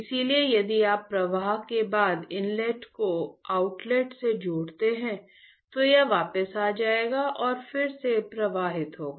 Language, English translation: Hindi, So, if you connect the inlet with outlet after flow it will come back and again it will flow